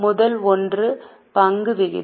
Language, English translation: Tamil, The first one is equity ratio